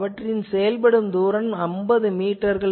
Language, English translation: Tamil, And their range is possibly 50 meters